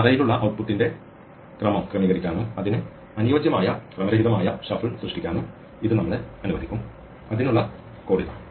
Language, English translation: Malayalam, This will allow us to take care of range output just sorted and create a suitably random shuffle of it; here is the code for it